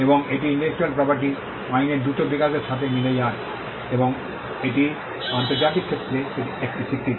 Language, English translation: Bengali, And this coincides with the rapid development of intellectual property law, and it is a recognition in the international sphere